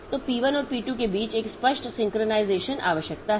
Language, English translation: Hindi, So, there is an explicit synchronization requirement between p1 and p2